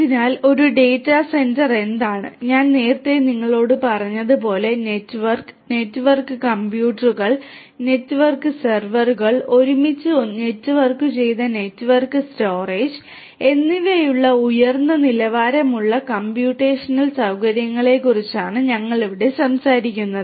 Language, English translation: Malayalam, So, what is a data centre, as I was telling you earlier here we are talking about high end computational facility which are networked, networked computers, network servers high end servers which are networked together and also network storage